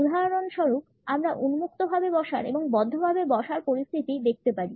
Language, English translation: Bengali, We can for instance look at the open and close sitting situations